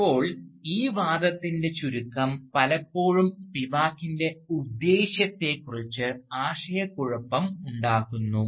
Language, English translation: Malayalam, Now, the terseness of this assertion has often led to confusion about Spivak's intent